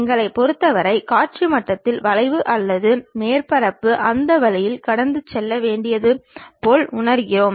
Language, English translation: Tamil, For us at visual level we feel like the curve or the surface has to pass in that way